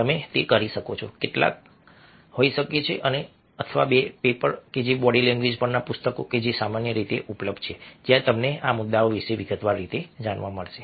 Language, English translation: Gujarati, some may be one or two papers and if books on body language, which are commonly available, where you will get to know some these issues in a detailed way very quickly